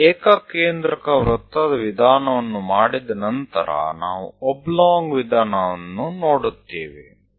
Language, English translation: Kannada, After doing this concentric circle method, we will go with oblong method